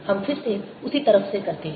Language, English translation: Hindi, let's do it again from the same side